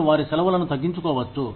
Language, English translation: Telugu, You could, cut down on their vacations